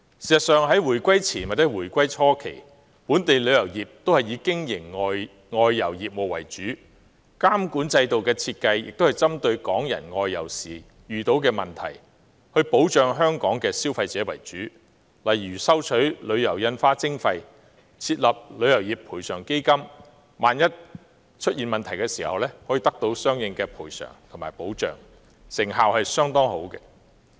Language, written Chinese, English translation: Cantonese, 事實上，在回歸前或回歸初期，本地旅遊業均以經營外遊業務為主，監管制度的設計，也是針對港人外遊時遇到的問題，保障香港消費者為主，例如收取旅遊印花徵費及設立旅遊業賠償基金，以便港人在出現問題時，可獲得相應的賠償和保障，成效相當好。, In fact before and shortly after the reunification of Hong Kong the travel industry of Hong Kong used to focus on outbound tours . Thus the regulatory regime was designed to solve problems encountered by Hong Kong people in outbound tours and protect consumers of Hong Kong . For example the levy on tours was introduced and the Travel Industry Compensation Fund was established to facilitate Hong Kong people in obtaining compensation and protection when problem arose; and effective results were achieved